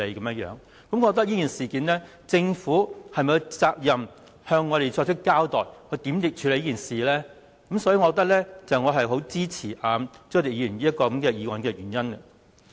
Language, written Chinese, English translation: Cantonese, 我覺得在這事件上，政府有責任向我們交代會如何處理，這也是我支持朱凱廸議員這項議案的原因。, In my opinion the Government is obliged to explain to us how it will deal with the incident . This is the reason why I support this motion proposed by Mr CHU Hoi - dick